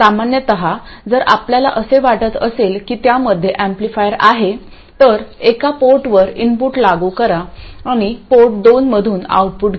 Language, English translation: Marathi, Normally if we think of it as an amplifier apply an input to port 1 and take the output from port 2